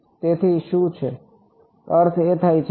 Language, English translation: Gujarati, So, what is; that means